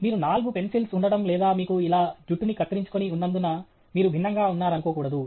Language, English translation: Telugu, You should not, just because you keep four pencils or you have a haircut like this, you are different